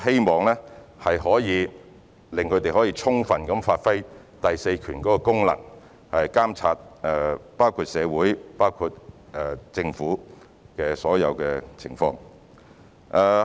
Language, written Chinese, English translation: Cantonese, 我們希望能讓新聞從業員充分發揮第四權的功能，監察社會和政府的所有情況。, We hope that we can enable journalists to exert their function as the fourth estate in monitoring all aspects of the society and the Government